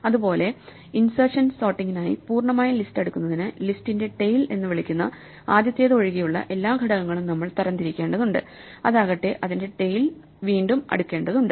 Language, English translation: Malayalam, Similarly, for insertion sort, in order to sort the full list, we need to sort all the elements excluding the first one what is called the tail of the list, and in turn we need to sort its tail and so on